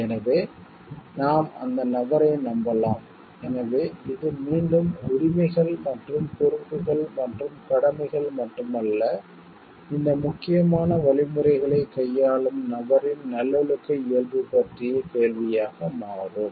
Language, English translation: Tamil, So, that we can trust that person so this again becomes a question of not only rights, and responsibilities and duties, but the virtuous nature of the person who is dealing with these important algorithms